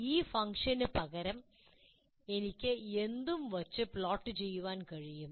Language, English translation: Malayalam, This function, I can replace it by anything and plot